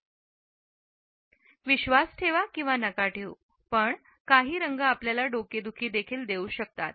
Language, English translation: Marathi, Believe it or not some colors can even give you a headache